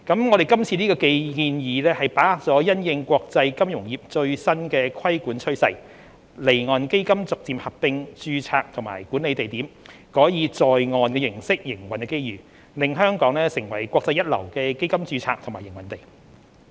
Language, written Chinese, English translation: Cantonese, 我們今次這個建議把握了因應國際金融業最新的規管趨勢，離岸基金逐漸合併註冊及管理地點，改以"在岸"形式營運的機遇，令香港成為國際一流的基金註冊及營運地。, Our current proposal has capitalized on the latest regulatory trend in the international financial industry in which offshore funds are gradually moving onshore by consolidating their domicile and management locations with a view to turning Hong Kong into a leading international domicile for fund registration and operation